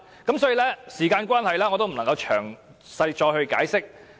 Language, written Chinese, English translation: Cantonese, 由於時間關係，我不能再作詳細解釋。, Due to time constraint I cannot elaborate any further